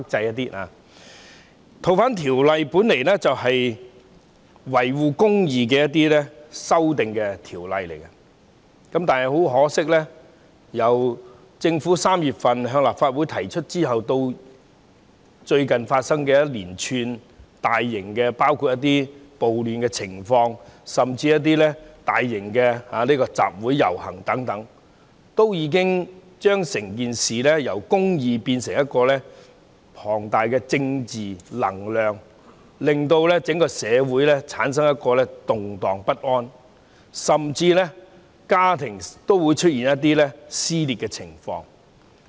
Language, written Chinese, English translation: Cantonese, 《2019年逃犯及刑事事宜相互法律協助法例條例草案》原意是維護公義，但很可惜，由3月份政府向立法會提出《條例草案》至最近發生的一連串大型暴亂情況和大型集會遊行，已將整件事由維護公義變成龐大的政治能量，令整個社會動盪不安，甚至令家庭出現撕裂的情況。, The original intention of the Fugitive Offenders and Mutual Legal Assistance in Criminal Matters Legislation Amendment Bill 2019 the Bill is to uphold justice . Unfortunately since the Bill was tabled to the Legislative Council in March the outbreak of a series of large - scale riots and assemblies recently has flipped the whole matter from upholding justice to a huge political force which caused social unrest and even caused families to be riven